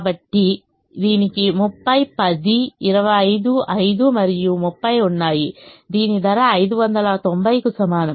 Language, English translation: Telugu, so this had thirty ten, twenty five, five and thirty, with cost equal to five, ninety